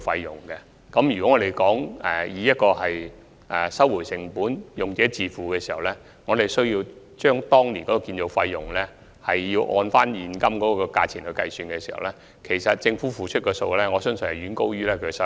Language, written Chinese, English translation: Cantonese, 如果按"收回成本"及"用者自付"的原則計算當年的建造成本的現今價值，我相信政府所付出的數額遠高於其收入。, If the present value of the then construction cost is calculated based on the principles of cost recovery and user pays I believe the amount paid by the Government far exceeds the revenue